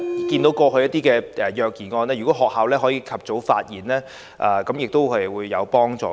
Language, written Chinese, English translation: Cantonese, 對於過去的一些虐兒案，如果學校及早發現亦會有幫助。, We learn from previous child abuse cases that early discovery by schools will help alleviate the situation